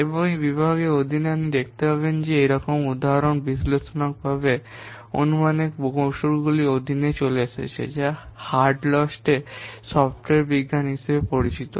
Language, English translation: Bengali, And under this category, you will see one such example is coming under analytical estimation technique that is known as Hullstates software science